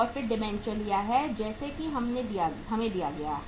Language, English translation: Hindi, Then we have taken debentures as given to us